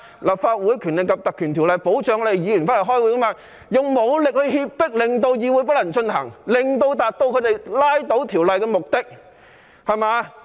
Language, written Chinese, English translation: Cantonese, 《立法會條例》保障議員在立法會開會，但他們卻用武力脅迫，令會議無法進行，以達致他們拉倒法案的目的。, Although the Legislative Council Ordinance safeguards Members when they attend meetings of the Legislative Council the opposition camp used force to prevent the meeting from taking place so as to achieve the purpose of toppling the bill